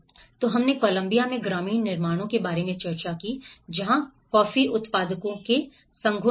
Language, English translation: Hindi, So, we did discussed about the rural constructions in Columbia where the coffee growers associations